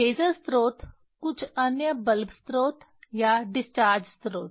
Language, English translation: Hindi, Laser source some other bulb source or discharge source